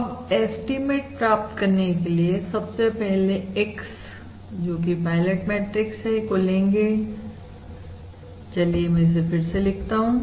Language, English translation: Hindi, now to find that estimate, let us first give x, which is basically your pilot matrix